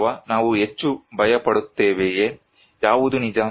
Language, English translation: Kannada, Or, are we are more afraid, which one true